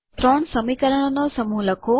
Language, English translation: Gujarati, Write a set of three equations